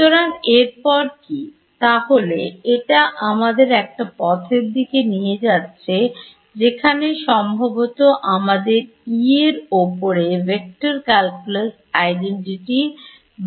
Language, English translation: Bengali, So, this is taking us to one route where possibly we will have to apply the vector calculus identity to E itself